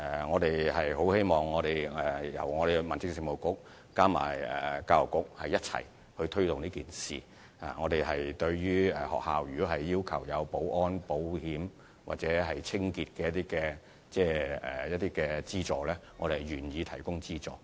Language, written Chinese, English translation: Cantonese, 我們希望民政事務局和教育局能夠一起推動這項計劃，如果有學校希望政府提供保安、保險或清潔方面的資助，我們也願意這樣做。, We hope the Home Affairs Bureau and the Education Bureau can join hands in taking forward this programme . Should any school wish to receive subsidy from the Government for security insurance and cleaning purposes we will be willing to do so